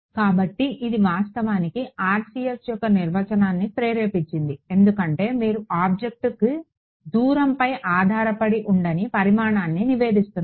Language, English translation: Telugu, So, this is actually what motivated the definition of RCS because you are reporting a quantity that does not strictly speaking depend on the distance to the object